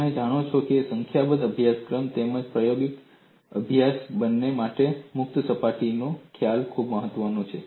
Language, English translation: Gujarati, The concept of free surface is very important both for numerical studies as well as experimental studies